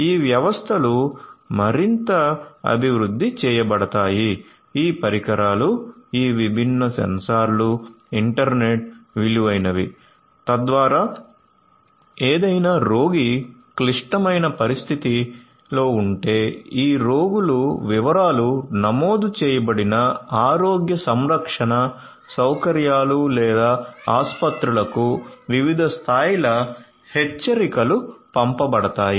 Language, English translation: Telugu, So, these systems would be further developed, they could these devices, these different sensors would be internet work so that if any patient has a critical condition, different levels of alerts would be sent to the healthcare facilities or hospitals to which this patients are registered